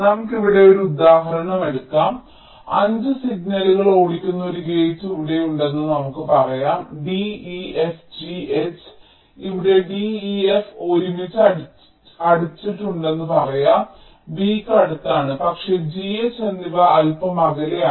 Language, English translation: Malayalam, lets say, here there was a gate which was driving five signals: d, f, g, h where, lets say, d, e, f are closed together, close to v, but g and n is little further away